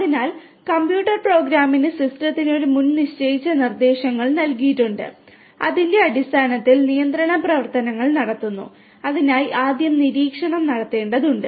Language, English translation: Malayalam, So, the computer program has you know a predefined set of instructions is provided to the system and based on that the control actions are taken and for that first the monitoring will have to be performed